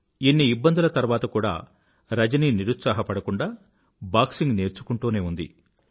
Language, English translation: Telugu, Despite so many hurdles, Rajani did not lose heart & went ahead with her training in boxing